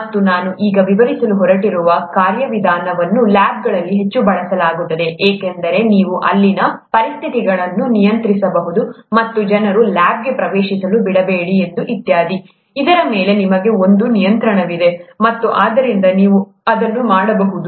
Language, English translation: Kannada, And, the procedure that I’m going to describe now, is used heavily in labs, because you can control the conditions there and kind of not let people enter the lab very strictly and so on so forth, you have a control over that, and therefore you could do that